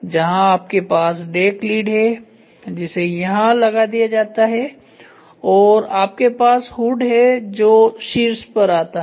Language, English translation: Hindi, Where in which you have deck lid which is put and you have the hood which comes on the top